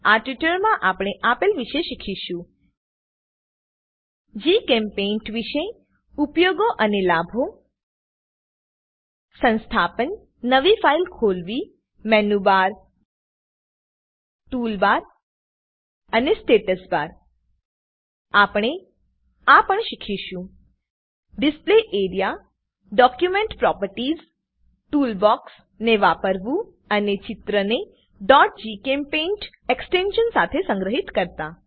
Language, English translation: Gujarati, In this tutorial we have learnt, About GChemPaint Uses and Benefits Installation Open a new file Menubar, Toolbar and Status bar We have also learnt about Display area Document Properties Using tool box and Save the drawing with extension .gchempaint As an assignment I would like you to 1